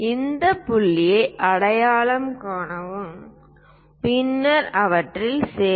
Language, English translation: Tamil, Identify these points, then join them